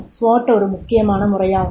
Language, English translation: Tamil, The SWAT is also a critical method